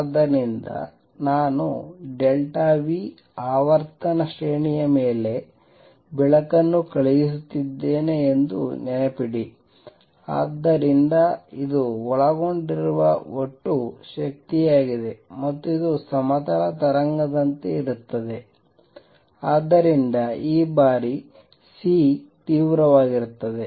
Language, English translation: Kannada, So, recall that I am sending light over a frequency range delta nu, so this is the total energy contained and this is like a plane wave so this time C is intensity